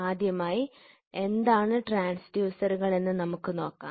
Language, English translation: Malayalam, So, first of all, we will see what is the transducer